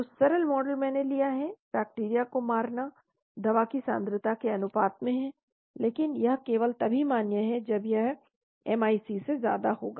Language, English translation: Hindi, So simple model I have taken, the killing is proportional to the concentration of the drug, but it is valid only if it is above MIC